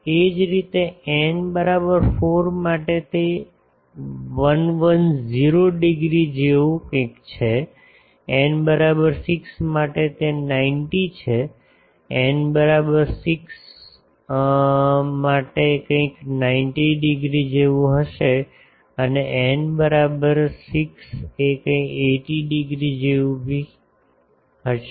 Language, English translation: Gujarati, Similarly, for n is equal to 4 it is something like 110 degree, for n is equal to 6 it is 90 no n is equal to 6 will be something like 90 degree and for n is equal to 8 something like 80 degree etc